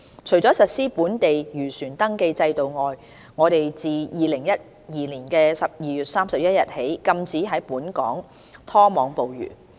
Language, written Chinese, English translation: Cantonese, 除了實施本地漁船登記制度外，我們自2012年12月31日起禁止在本港拖網捕魚。, In addition to the local fishing vessel registration scheme a ban on trawling activities in Hong Kong has been imposed since 31 December 2012